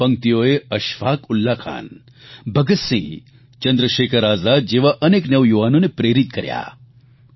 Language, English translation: Gujarati, These lines inspired many young people like Ashfaq Ullah Khan, Bhagat Singh, Chandrashekhar Azad and many others